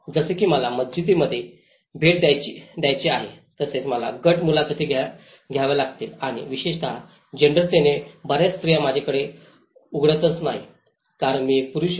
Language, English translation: Marathi, Like I have to visit in the mosques, I have to take the group interviews and especially, with gender many of the women doesn’t open up to me because I am a male person